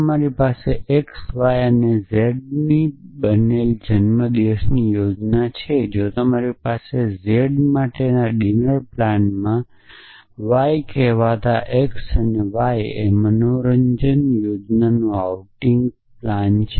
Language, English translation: Gujarati, So, you have a birthday plan made up of x y and z if you have an outing plane of called x and entertainment plan called y in a dinner plan for z